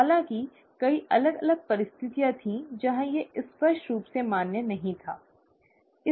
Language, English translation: Hindi, Although, there were many different situations where this clearly was not valid, okay